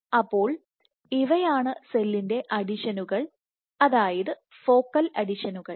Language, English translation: Malayalam, So, these are adhesions of the cell focal adhesions